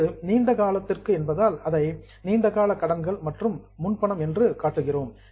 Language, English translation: Tamil, Now, since this is for a longer period, we are showing it as a long term loans and advance